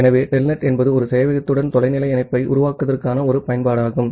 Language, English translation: Tamil, So, telnet is an application to make a remote connection to a server